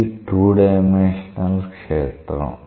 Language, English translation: Telugu, So, it is a 2 dimensional field